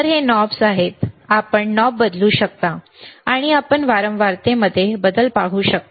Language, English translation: Marathi, So, these are knobs, you can you can change the knob, and you will be able to see the change in the frequency